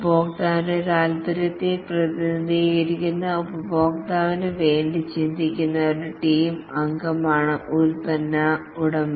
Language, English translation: Malayalam, The product owner is a team member who represents the customer's interest